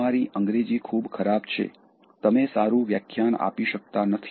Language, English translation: Gujarati, your English is so bad, you cannot give a good talk